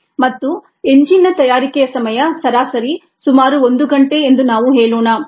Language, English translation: Kannada, and let us say that the time on the average for the manufacture of an engine is about an hour